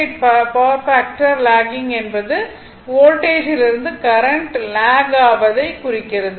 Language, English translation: Tamil, 8 power factor lagging means that current lags the Voltage right